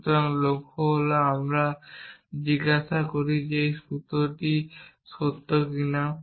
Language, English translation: Bengali, So, the goal is we asking whether this formula is true